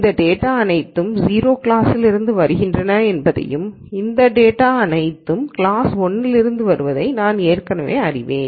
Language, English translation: Tamil, So, I already know that all of this data is coming from class 0 and all of this data is coming from class 1